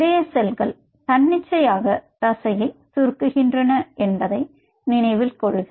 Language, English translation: Tamil, and, and mind it, cardiac cells are spontaneously contracting muscle